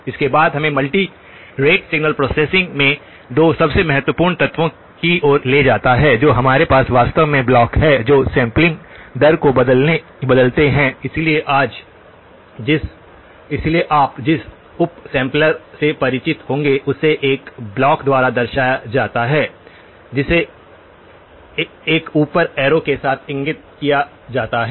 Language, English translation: Hindi, This then leads us to the 2 most important elements in multi rate signal processing that where we actually the blocks that change the sampling rate, so the up sampler as you will be familiar with is denoted by a block which is indicated with an up arrow